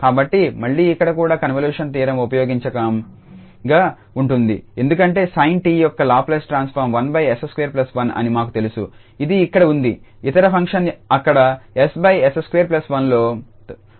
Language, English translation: Telugu, So, again here also the convolution theorem will be useful because we know that the Laplace transform was sin t is 1 over s square plus 1 which is seated here and then other function is multiplied by there s over s square plus 1